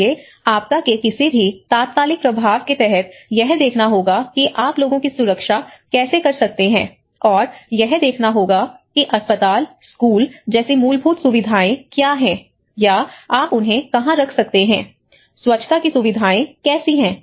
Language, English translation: Hindi, So, under the any immediate impact of a disaster one has to look at how you can safeguard the people, what are the facilities the basic like hospitals, schools or where you can put them, how the sanitation facilities